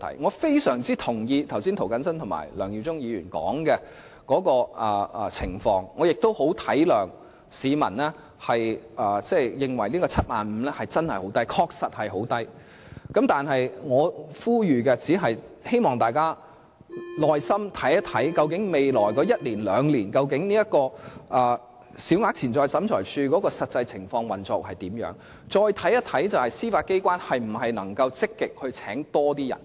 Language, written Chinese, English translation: Cantonese, 我非常同意剛才涂謹申議員和梁耀忠議員提述的情況，也很體諒市民認為 75,000 元的限額過低，而這限額亦確實很低，但我只想呼籲大家在未來一兩年，耐心留意審裁處的實際運作情況，以及司法機構會否積極增聘人手。, I very much concur with the remarks made by Mr James TO and Mr LEUNG Yiu - chung earlier and I also understand the feedback received from members of the public that the limit of 75,000 is too low which is indeed too low . I just want to call on Members to patiently observe the actual operation of SCT for one or two years and see if the Judiciary will actively recruit more manpower